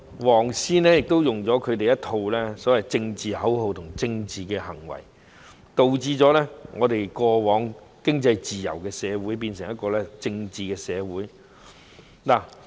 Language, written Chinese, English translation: Cantonese, "黃絲"使用他們一套所謂的政治口號和政治行為，導致過往經濟自由的社會，變成一個政治的社會。, Through their political slogans and political activities the yellow ribboners had turned what used to be an economically free society into a political society